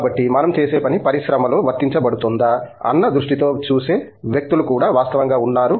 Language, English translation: Telugu, So, there are people who want to see what they are doing actually be applied in the industry